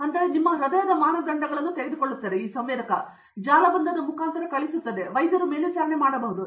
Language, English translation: Kannada, So, it takes your heart parameters and it sends over a network and doctor can monitor